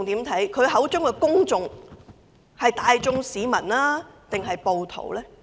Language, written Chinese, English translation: Cantonese, 他口中的公眾是大眾市民，還是暴徒？, Are the public that he referred to the general public or rioters?